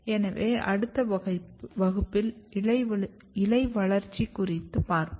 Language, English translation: Tamil, So, I will stop here in next class we will discuss leaf development